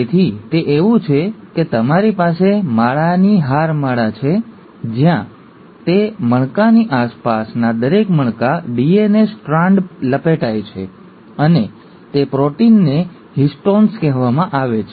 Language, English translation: Gujarati, So it's like, you have a string of beads, where each bead around that bead, the DNA strand wraps, and those proteins are called as the Histones